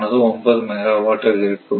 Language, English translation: Tamil, So, it is 5 megawatt